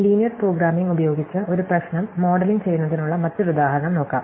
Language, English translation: Malayalam, Let us look at another example of modeling a problem using Linear Programming, again to do with production